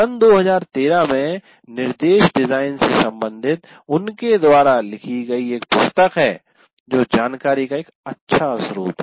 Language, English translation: Hindi, And there is a 2013 book written by him related to this instruction design that is a good source of information